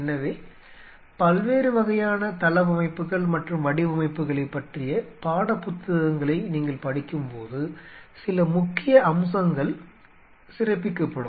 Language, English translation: Tamil, So, as you go through the text books about different kind of layouts and designs there are certain salient features which will be highlighted